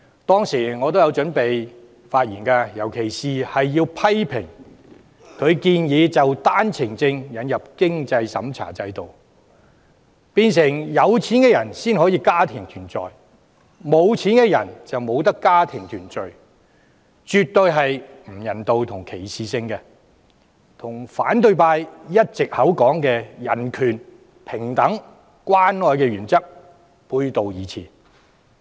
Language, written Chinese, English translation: Cantonese, 當時我也有準備發言，尤其是要批評他建議就單程證引入經濟審查制度，變成有錢的人才可以家庭團聚，缺錢的人則不可，做法絕不人道及具歧視性，與反對派一直聲稱的人權、平等及關愛原則背道而馳。, At that time I intended to speak and criticize particularly his suggestion to introduce a means test regime into the OWP scheme so that only the rich are entitled to family reunion but not the poor . This approach is definitely inhumane and discriminating in addition to contradicting principles purportedly upheld by the opposition all along those of human rights equality and care